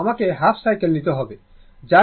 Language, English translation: Bengali, You have to take half cycle